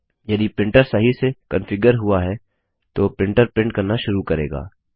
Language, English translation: Hindi, If the printer is configured correctly, the printer should start printing now